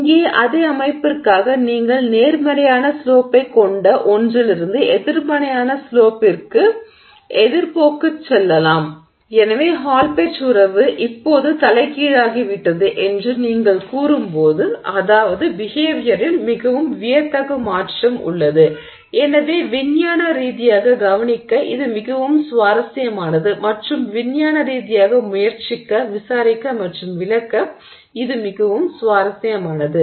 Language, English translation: Tamil, Here for the same system you may be going from something that has a positive slope to something that is the opposite trend which is the negative slope and therefore when you say that a Hallpage relationship a relationship has now been inverted that's a very dramatic change in behavior and therefore scientifically very interesting to observe and scientifically very interesting to try and investigate and explain